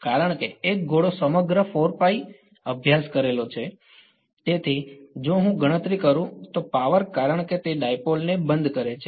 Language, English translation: Gujarati, Because a sphere encompasses the entire 4 pi studied in, so, the power if I calculate because it encloses the dipole